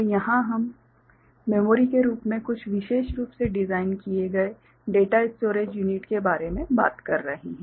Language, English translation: Hindi, And here we are talking about some specially designed data storage units as memory